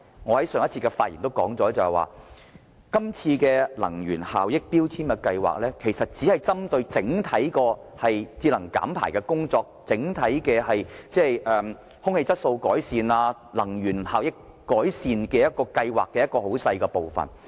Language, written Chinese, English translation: Cantonese, 我在上一次發言時說過，能源效益標籤計劃其實只佔整體節能減排、改善空氣質素和改善能源效益計劃中很小的部分。, As I have said during my previous speech energy efficiency labelling has in fact accounted for only a tiny part in the overall planning to promote energy saving emissions reduction and an improvement in air quality and energy efficiency